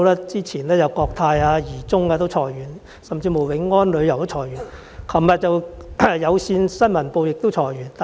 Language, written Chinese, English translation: Cantonese, 早前國泰航空和怡中航空裁員、永安旅遊裁員，而昨天有線新聞部亦裁員。, Cathay Pacific Airways Limited Jardine Aviation Services and Wing On Travel laid off their employees earlier and the news department of Cable TV dismissed some staff members yesterday